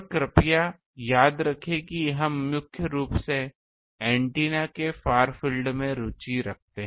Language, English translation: Hindi, And please remember that we are primarily interested in the far field of the antennas